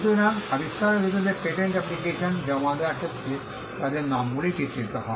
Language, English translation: Bengali, So, their names figure in filing in a patent application as the inventors